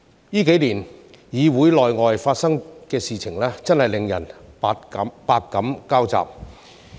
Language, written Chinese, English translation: Cantonese, 這幾年議會內外發生的事情，真是令人百感交集。, What has happened inside and outside the legislature in the past few years has made me feel a mixture of emotions